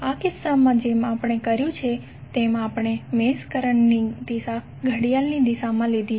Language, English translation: Gujarati, Like in this case we have done the, we have taken the direction of the mesh currents as clockwise